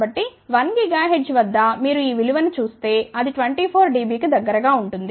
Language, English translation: Telugu, So, at 1 gigahertz if you see this value, that is about 24 dB